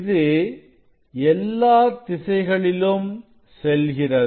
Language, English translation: Tamil, And this will be emitting all directions